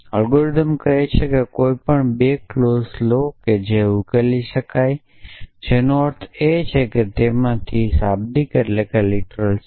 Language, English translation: Gujarati, Algorithm says take any 2 clauses which are which can be resolved which means one of them has a literal